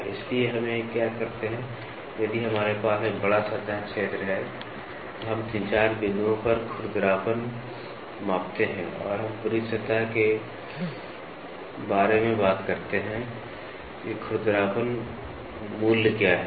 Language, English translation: Hindi, So, that is why what we do, if we have a large surface area, we measure roughness at 3, 4 points and we talk about the entire surface what is the roughness value, generally have a pattern and are oriented in a particular direction